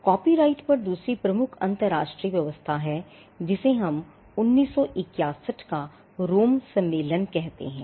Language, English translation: Hindi, The second major international arrangement on copyright is what we call the Rome convention of 1961